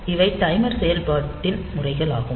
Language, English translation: Tamil, So, this will be operating as a timer